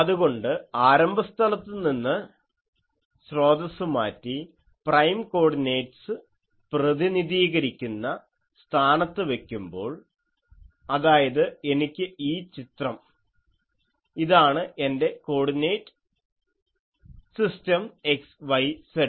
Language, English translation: Malayalam, So, if the source is removed from the origin and placed at a position represented by prime coordinates that means, if I has this diagram that this is my coordinate system xyz